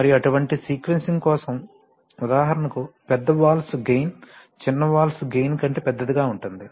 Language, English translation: Telugu, So and it turns out that for such sequencing, you know when you for example, typically the gain of large valves will be actually larger than the gain of small valves